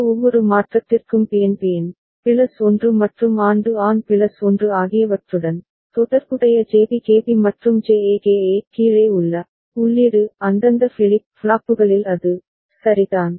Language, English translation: Tamil, And for each of this transition Bn to Bn plus 1 and An to An plus 1 right down the corresponding JB KB and JA KA the input that are required at the at respective flip flops is it ok